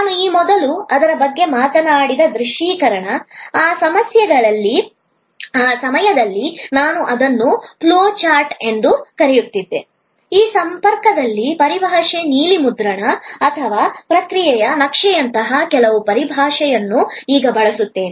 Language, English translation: Kannada, The visualization I talked about it earlier, at that time I called it a flow chart, I will now use some other terminologies in this connection like terminology blue print or process map